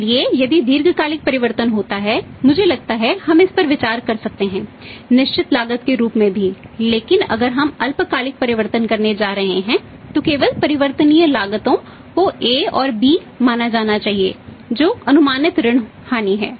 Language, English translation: Hindi, So, if the long term changes there I think we may consider the fixed cost also but if the short term changes we are going to make then only the variable cost has to be considered A and B is the expected bad debt losses